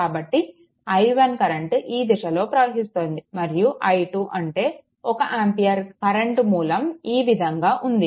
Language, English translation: Telugu, So, in this case direction of i 1 is like this and i 2 your one current source 1 ampere is like this